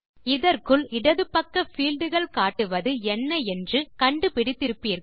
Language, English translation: Tamil, By now you would have guessed what the fields on the left hand side indicate